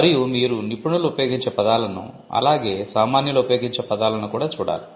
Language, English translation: Telugu, And you would also look at words used by experts, as well as words used by laymen